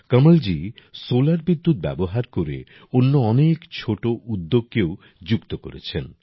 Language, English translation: Bengali, Kamalji is also connecting many other small industries with solar electricity